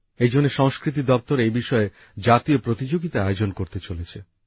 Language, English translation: Bengali, Therefore, the Ministry of Culture is also going to conduct a National Competition associated with this